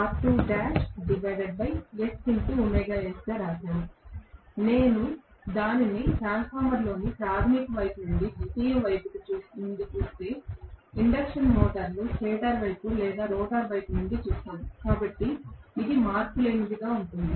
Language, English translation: Telugu, Whether I look at it from the primary side or the secondary side in a transformer or from the stator side or rotor side in an induction motor, so, this is going to be invariant